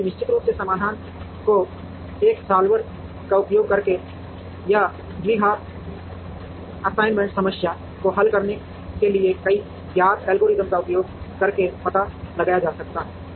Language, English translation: Hindi, So, the solution of course, can be found out using a solver or by using several known algorithms to solve the quadratic assignment problem